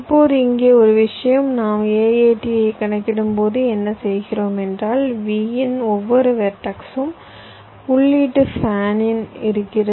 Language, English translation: Tamil, now here one thing: that when we are calculating the a, a, t, so what we are doing for every vertex v, we are looking at the input fan ins